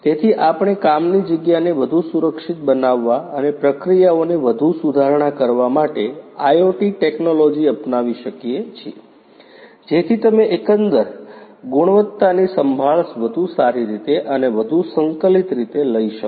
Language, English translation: Gujarati, So, can we adopt the IoT technologies in order to make the work place much more safe and also the processes much more improved, so that you can you can take care of the quality overall in a much more improved manner and in a much more integrated manner